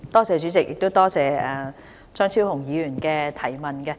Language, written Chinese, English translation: Cantonese, 主席，多謝張超雄議員的補充質詢。, President I thank Dr Fernando CHEUNG for his supplementary question